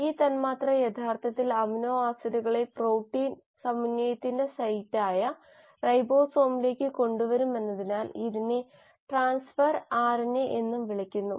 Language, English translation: Malayalam, It is also called as transfer RNA because this molecule will actually bring in the amino acids to the ribosome, the site of protein synthesis